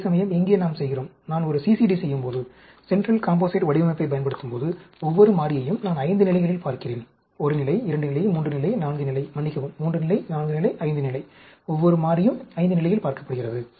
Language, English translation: Tamil, Whereas, here, we are doing, when I use a CCD, central composite design, I am looking at each variable at 5 levels; 1 level, 2 level, 3 level, 4 level, sorry, 3 level, 4 level, 5 level; each variable is being looked at, at 5 level